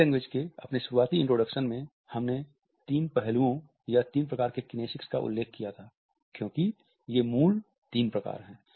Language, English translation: Hindi, In my initial introduction to body language I had referred to three aspects or three types of kinesics because these are the original three types